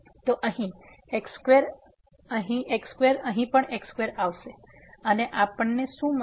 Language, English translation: Gujarati, So, here square here square and here also square will come and what we will get